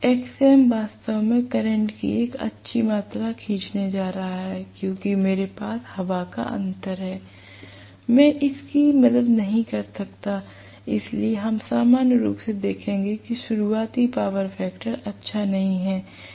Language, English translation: Hindi, Xm actually is also going to draw a good amount of current because I have air gap, I cannot help it, so we will see normally that the starting power factor is not good, starting power factor of an induction motor is not good